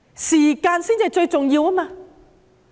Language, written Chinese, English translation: Cantonese, 時間才是最重要的。, Time is the most important element